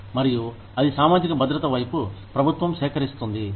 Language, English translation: Telugu, And, that is collected by the government, towards social security